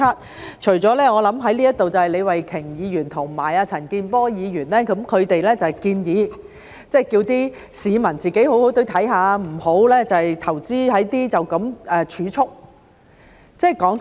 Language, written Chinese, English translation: Cantonese, 我想在這裏的，除了李慧琼議員和陳健波議員，他們建議市民好好的看，不要只投資在儲蓄。, I think Ms Starry LEE and Mr CHAN Kin - por are the exceptions here . They have advised the public to read the papers seriously and should not just invest their contributions in savings